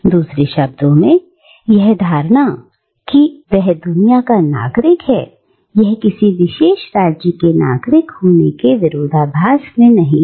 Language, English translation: Hindi, In other words, the notion that one is the citizen of the world, is not in conflict with the idea that one is also the citizen of a particular state